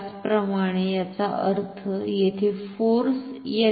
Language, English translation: Marathi, Similarly, which will mean here the force will be in this direction